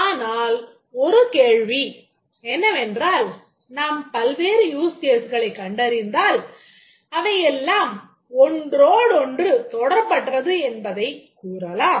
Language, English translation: Tamil, But one question that if we identify the different use cases, can we say that all use cases are independent of each other